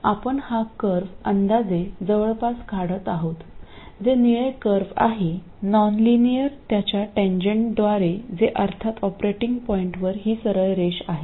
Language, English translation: Marathi, So, we are approximating this curve which is this blue curve, the nonlinear one, by its tangent which is of course a straight line at the operating point